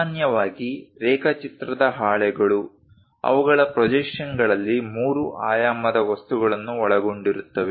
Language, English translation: Kannada, Typically drawing sheets contain the three dimensional objects on their projections